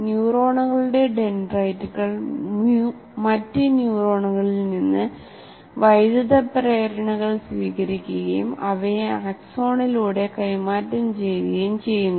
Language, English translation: Malayalam, Dendrites of neurons receive electrical impulses from other neurons and transmit them along the axon